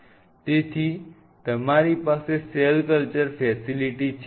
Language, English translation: Gujarati, So, you have a cell culture facility